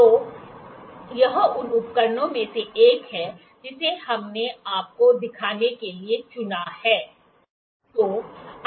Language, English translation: Hindi, So, this is one of the instruments that we selected it to show you